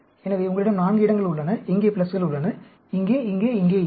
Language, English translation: Tamil, So, you have 4 places where you have pluses, here, here, here, here